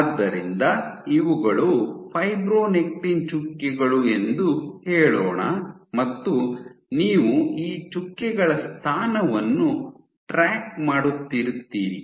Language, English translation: Kannada, So, let us say these are fibronectin dots and you are tracking the position of these dots